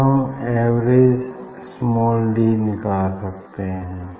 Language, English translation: Hindi, And then I will take the average of this